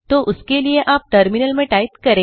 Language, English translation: Hindi, So we can type on the terminal figure 1